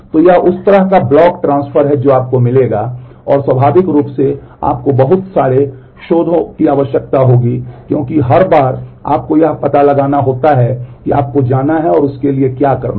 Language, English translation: Hindi, So, this is the kind of block transfer that you will get you will require and naturally you will require so many seek because every time you have to find out you have to go and seek for that